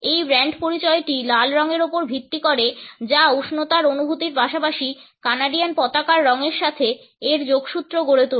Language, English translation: Bengali, Its brand identity is based on red which evokes feelings of warmth as well as its associations with the colors of the Canadian flag